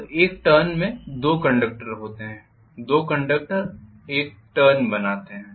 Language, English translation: Hindi, So one turn consist of two conductors, two conductors make up for one turn